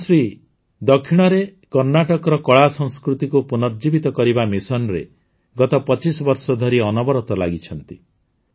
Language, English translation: Odia, In the South, 'Quemshree' has been continuously engaged for the last 25 years in the mission of reviving the artculture of Karnataka